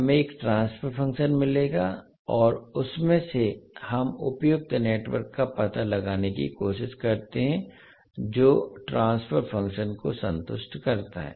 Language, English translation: Hindi, We will get one transfer function and from that we try to find out the suitable network which satisfy the transfer function